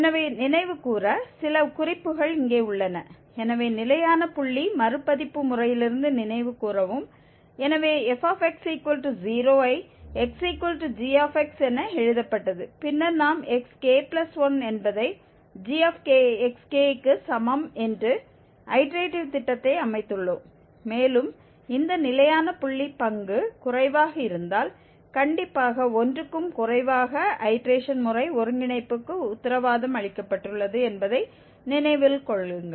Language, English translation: Tamil, So just to recall, some remarks here, so recall from the Fixed Point Iteration Method, so f x equal to 0 was written as x equal to g x and then we have set up the iterative scheme that xk plus 1 is equal to g xk from this formulation g x is equal to g xk, and just remember that the convergence was guaranteed for this Fixed Point Iteration Method if the derivative is less than, strictly less than 1